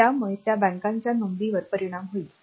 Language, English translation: Marathi, So, they will be affecting bank one registers